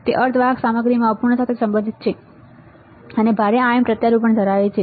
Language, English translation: Gujarati, It is related to imperfection in semiconductor material and have heavy ion implants